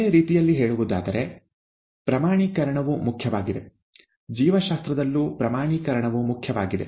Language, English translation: Kannada, In other words, quantification is important; quantification is important in biology also